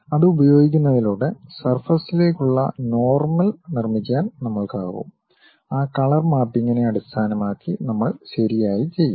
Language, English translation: Malayalam, By using that, we will be in a position to construct what might be the normal to surface, based on that color mapping we will do right